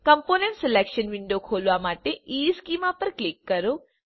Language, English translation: Gujarati, The component selection window will open up